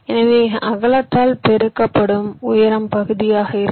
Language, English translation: Tamil, so just height multiplied by width will be your area